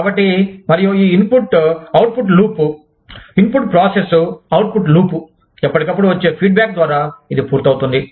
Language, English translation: Telugu, So, and this input output loop, input process, output loop, is completed in and through feedback, that comes in from time to time